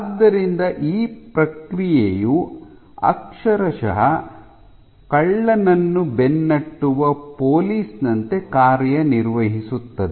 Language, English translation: Kannada, So, the process literally in acts like a cop chasing a thief ok